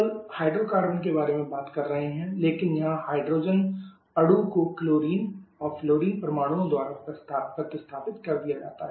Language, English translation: Hindi, We are talking about hydrocarbons only but there the hydrogen atom has been replaced in a molecules by chlorine and fluorine atoms